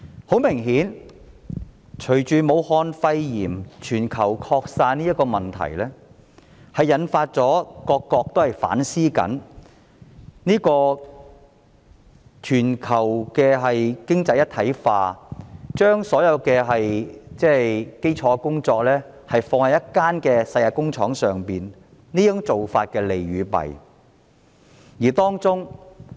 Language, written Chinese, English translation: Cantonese, 很明顯，隨着武漢肺炎全球擴散，引發各國反思全球經濟一體化的議題，審視將所有基礎工作放在一間世界工廠上的做法的利與弊。, Obviously with the global spread of Wuhan pneumonia various countries are reflecting on global economic integration and examining the pros and cons of putting all basic work in a world factory